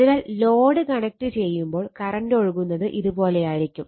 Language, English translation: Malayalam, So, as load is connected load is load is connected therefore, the current will be flowing like this